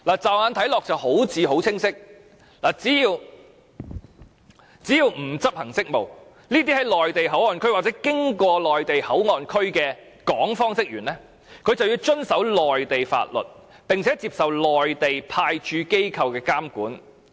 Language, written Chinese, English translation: Cantonese, 驟眼看來，這好像很清晰，只要不是執行職務，這些在內地口岸區或經過內地口岸區的港方職員就要遵守內地法律，並接受內地派駐機構的監管。, At first glance the provision seems to be clear that is when personnel of the Hong Kong authorities are in or passing by MPA and if they are not performing duties they have to comply with the laws of the Mainland and are subject to the surveillance of the Mainland Authorities Stationed at the Mainland Port Area